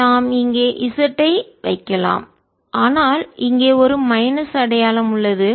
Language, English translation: Tamil, so we can put z here, but on minus sin